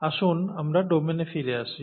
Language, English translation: Bengali, Now let’s get back to domains